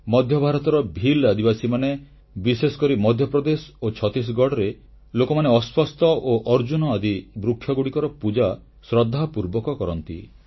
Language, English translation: Odia, The Bhil tribes of Central India and specially those in Madhya Pradesh and Chhattisgarh worship Peepal and Arjun trees religiously